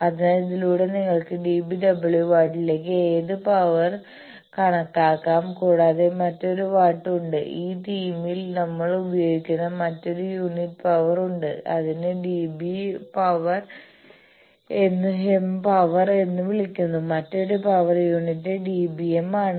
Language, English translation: Malayalam, So, by this you can calculate any of the power to dB w watt also there is another watt which we will another unit of power which we will be using in this theme that is called dB m power powers another unit is dB m